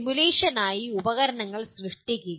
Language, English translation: Malayalam, Create tools for simulation